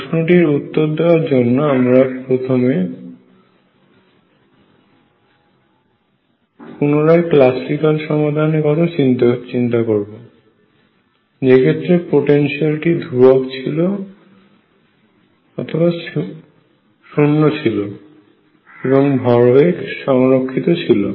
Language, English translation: Bengali, Now to anticipate the answer again I go back to the classical result that in the case when the potential is constant or potential is 0 momentum is conserved